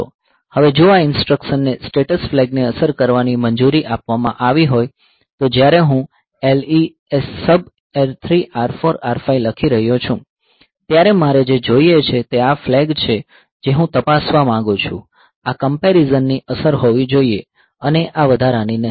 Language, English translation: Gujarati, Now if this instruction is allowed to affect the status flag then when I am writing like LESUB R3, R4, R5 so, what I want is this flag that I want to check so, this should be the affect of this comparison and not this addition ok